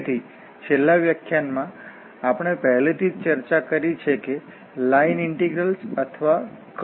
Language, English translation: Gujarati, So, in the last lecture we have already discussed what are the line integrals or the curve integrals